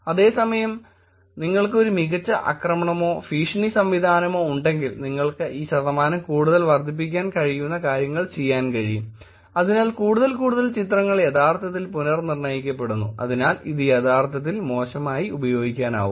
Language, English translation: Malayalam, Whereas, if you were to have a better attack or threat mechanism you could actually do things by which you can increase this percentage to more, so more and more pictures are actually re identified and therefore it can be actually used maliciously